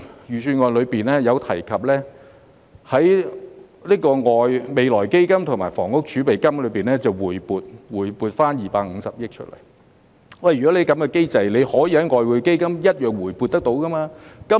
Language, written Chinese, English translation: Cantonese, 預算案中提及會在未來基金及房屋儲備金回撥250億元，如果在這機制下，當局同樣可以從外匯基金回撥。, The Budget mentions that 25 billion will be brought back from the Future Fund and the Housing Reserve . Under this mechanism the authorities can likewise bring back funds from the Exchange Fund